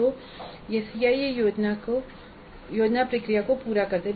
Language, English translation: Hindi, So that completes the CIE plan process